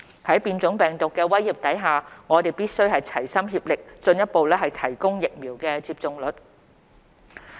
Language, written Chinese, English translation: Cantonese, 在變種病毒的威脅下，我們必須齊心協力進一步提高疫苗接種率。, Given the threat posed by the mutant strains it is essential that we work together to further improve the vaccination rate